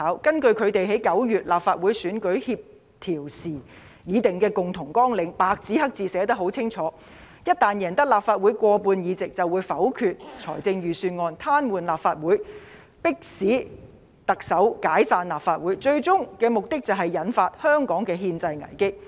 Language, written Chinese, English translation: Cantonese, 根據他們為9月立法會選舉協調時已定的共同綱領，白紙黑字寫得十分清楚，一旦贏得立法會過半數議席，便會否決預算案，癱瘓立法會，迫使特首解散立法會，最終目的是引發香港的憲制危機。, They have coordinated their electioneering efforts for the Legislative Council Election in September . According to their common election program it has been written in black and white that if they win more than half of the seats in the coming Legislative Council Election they will negative the Budget paralyse the Legislative Council forcing the Chief Executive to dissolve the Legislative Council thereby triggering a constitutional crisis in Hong Kong ultimately